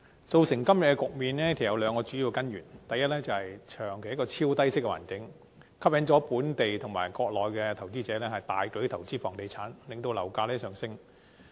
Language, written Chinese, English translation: Cantonese, 造成今天的局面，有兩個主要根源，第一，香港長期處於超低息環境，吸引本地和國內投資者大舉投資房地產，令樓價上升。, There are two major root causes leading to the current situation . First the extremely low interest rate environment which has persisted for a long time in Hong Kong has attracted huge capitals from local and Mainland investors into the property market resulting in an increase in property prices